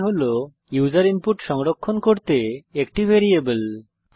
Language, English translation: Bengali, $i is a variable to store user input